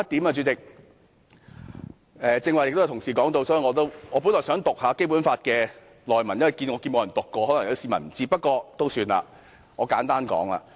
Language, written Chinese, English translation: Cantonese, 主席，最後一點，剛才也有同事提及，我本來想引述《基本法》的內文，因為沒有議員引述，可能有些市民不知道，不過算了，我簡單說。, President last but not least some Members mentioned earlier that I want to cite a Basic Law provision since no Member has cited it in this debate and the public may not know it